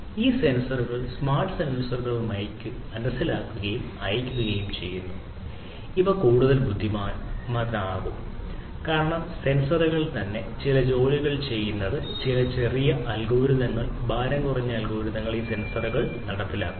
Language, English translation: Malayalam, So, not only that these sensors the smart sensors would sense and send, but these would be made intelligent because certain small algorithms lightweight algorithms will be executed in these sensors to do certain tasks at the sensors themselves